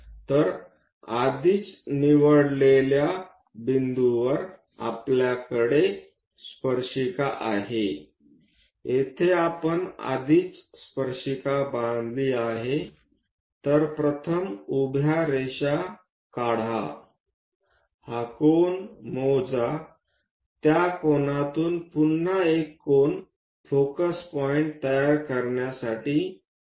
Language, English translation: Marathi, So, already we have tangent at a given chosen point, here we already constructed tangents; so first draw a vertical line, measure this angle, from that angle again reproduce another angle to focus point